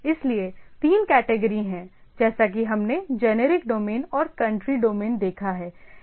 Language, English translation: Hindi, So, there are three categories as we have seen generic domain and country domain